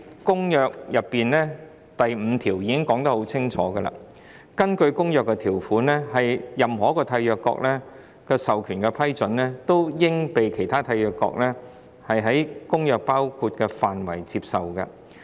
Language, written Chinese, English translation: Cantonese, 《公約》第五條清楚說明，根據《公約》的條款，在某一締約國授權下的批准，均應被其他締約國在《公約》所包括的範圍內接受。, It is clearly stated under Article V of the Convention that approval under the authority of a Contracting Party granted under the terms of the present Convention shall be accepted by the other Contracting parties for all purposes covered by the present Convention